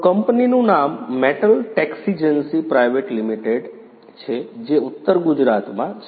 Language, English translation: Gujarati, So, the name of the company is Metal Texigency Private Limited in North Gujarat